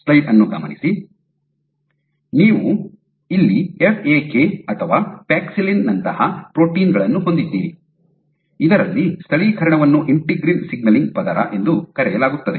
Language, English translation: Kannada, So, here you had proteins like FAK or paxillin in which localized and this is called the integrin signaling layer